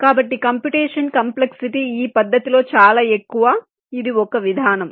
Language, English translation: Telugu, so the computation complexity is pretty high in this method